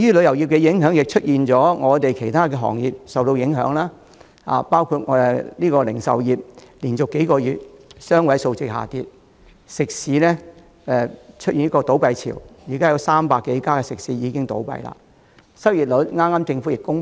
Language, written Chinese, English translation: Cantonese, 由於旅遊業不景，其他行業亦受影響，包括零售業連續多個月有雙位數字下跌，食肆出現倒閉潮，有300多間倒閉。, The depression in tourism impinges upon other industries including retail which has suffered double - digit fall in sales volume for several consecutive months and restaurants which have undergone a wave of closures with more than 300 of them folded